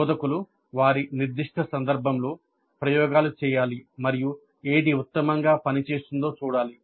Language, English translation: Telugu, So, the instructors have to experiment in their specific context and see what works best